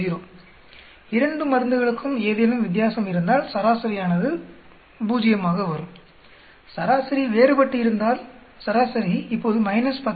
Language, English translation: Tamil, If there is difference between the 2 drugs the mean should come out to be 0, if the mean is different, mean is now x bar of minus 10